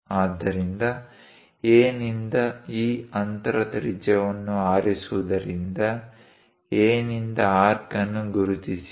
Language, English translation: Kannada, So, from A; picking these distance radius mark an arc from A